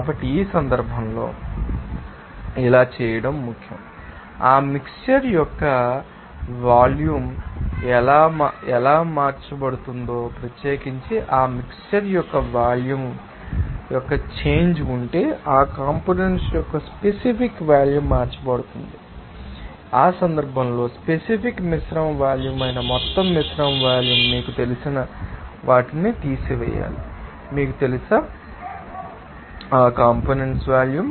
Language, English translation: Telugu, So, in this case So, it is important to do that, that how that volume of that mixture will be changed that especially the volume of that mixture will be changed if there is a change of individual you know specific volume of that components will be changed and in that case, what would the total mixture volume that is specific mixture volume that you have to subtract those you know summation of, you know, specific you know, volume of that components there